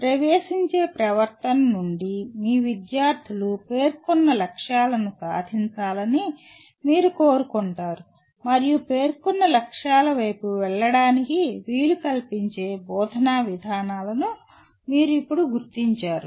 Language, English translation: Telugu, Then from the entering behavior you want your students to attain the stated objectives and you now identify instruction procedures that facilitate them to go towards the stated objectives